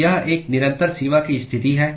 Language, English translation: Hindi, So, it is a constant boundary condition